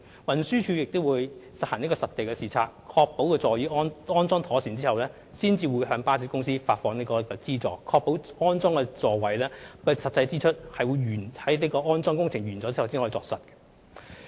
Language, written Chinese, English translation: Cantonese, 運輸署亦會進行實地視察，確保座椅已安裝妥當，然後才向巴士公司發放資助，藉以確保安裝座位的實際支出是在安裝工程完成後才落實。, TD will also conduct site inspections before disbursing subsidies to bus companies to ensure that seats have been properly installed thereby making sure that the actual expenses for the installation of seats at bus stops are finalized after the completion of installation works